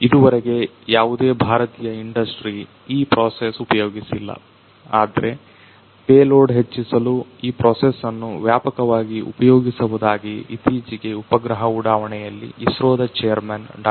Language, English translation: Kannada, There is no Indian industry so far you know that use this process, but there there is a recent announcement by the chairman of the ISRO Dr